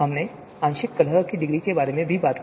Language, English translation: Hindi, We also talked about the partial discordance degree